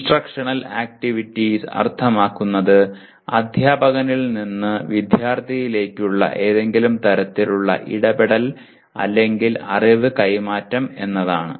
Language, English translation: Malayalam, Instructional activities means in some kind of interaction or knowledge transfer from the teacher to the student